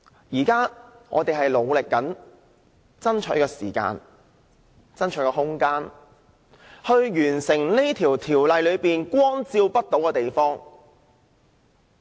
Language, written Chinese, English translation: Cantonese, 現時我們正努力爭取時間、空間，以涵蓋修訂規例下光照不到的地方。, We are now striving hard for time and space to cover those shadowy places under the Amendment Regulation